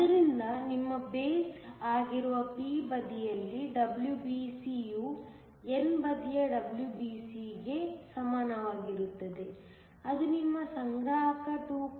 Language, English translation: Kannada, Therefore, WBC on the p side, which is your base is equal to WBC on the n side which is your collector is equal to half of 2